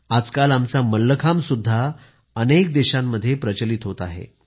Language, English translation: Marathi, Nowadays our Mallakhambh too is gaining popularity in many countries